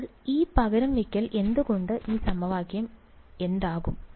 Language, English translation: Malayalam, So, with that substitution what will this equation become